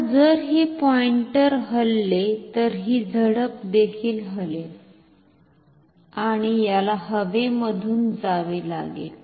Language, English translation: Marathi, Now, if this pointer moves, then this flap will also move, and this has to move through the air